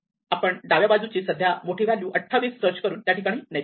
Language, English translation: Marathi, We go to the left and find the maximum value is 28